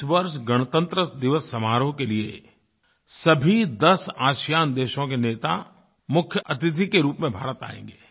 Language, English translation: Hindi, The Republic Day will be celebrated with leaders of all ten ASEAN countries coming to India as Chief Guests